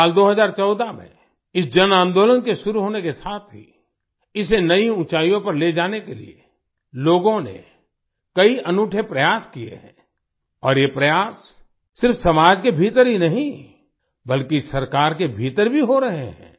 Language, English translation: Hindi, Since the inception of this mass movement in the year 2014, to take it to new heights, many unique efforts have been made by the people